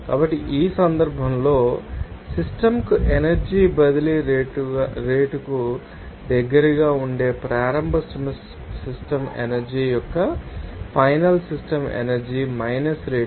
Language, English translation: Telugu, So, in this case here to final system energy minus rate of initial system energy that will be close to rate of energy transfer to the system